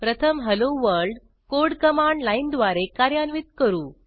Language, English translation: Marathi, First let us see how to execute the Hello World code from command line